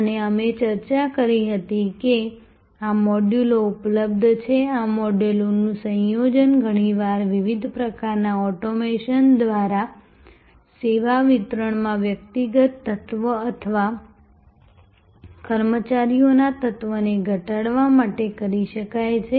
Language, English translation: Gujarati, And we had discussed that these modules being available, the combination of these modules can be done often through different types of automation to reduce the personal element or personnel element in the service delivery